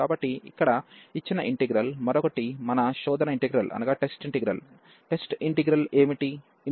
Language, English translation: Telugu, So, one this given integral here, and the another one our test integral, what is the test integral